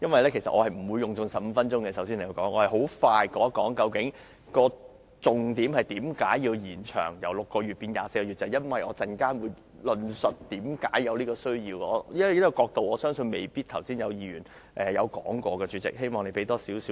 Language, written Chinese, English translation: Cantonese, 首先，我不會用盡15分鐘的發言時間，我會快速講述重點，即為何要把檢控期限由6個月延長至24個月，我稍後便會論述為何有此需要，而我相信剛才未必有議員從這角度發言。, why it is necessary to extend the time limit for prosecution from 6 months to 24 months . I will elaborate on why there is such a need in a while . I believe that just now Members might not have spoken from this angle